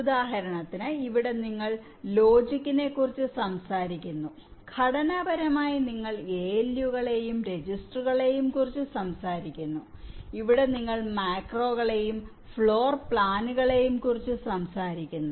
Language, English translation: Malayalam, for example, here you talk about logic, here and in structurally you talk about a loose and registers and here you talk about macros and floor plans